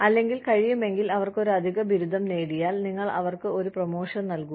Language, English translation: Malayalam, Or if possible, if they get an additional degree, then you give them a jump